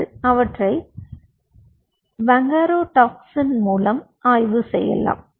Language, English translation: Tamil, you can probe them with bungarotoxin